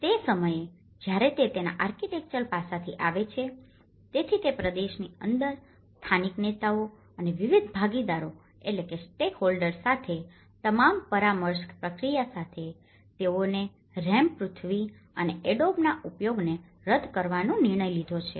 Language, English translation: Gujarati, So, at this point of time, when it comes from the architectural aspect of it, so, with all the consultation process with the local leaders and various stakeholders within that region, so they have decided to discard the use of rammed earth and adobe